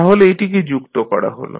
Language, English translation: Bengali, So, that also we add